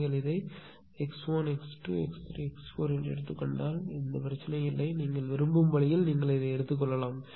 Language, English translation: Tamil, If you can take this is x 1, x 2, x 3, x 4 also no problem the way what you can take this way right